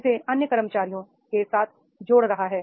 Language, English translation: Hindi, It is the linking with the other employees